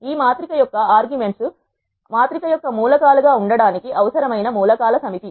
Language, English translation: Telugu, The arguments to this matrix are the set of elements that are needed to be the elements of the matrix